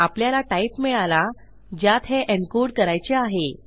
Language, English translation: Marathi, Okay so weve got the type this is going to be encoded to